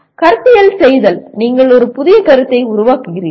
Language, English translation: Tamil, Conceptualize, you may be creating a new concept